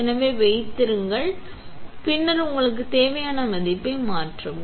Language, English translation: Tamil, So, hold then, set and then change the value that you need